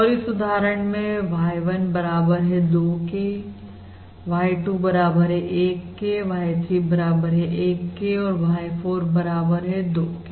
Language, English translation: Hindi, we have, in this example, y 1 equals 2, y 2 equals 1, y 3 equals 1 and y 4 is also equal to 2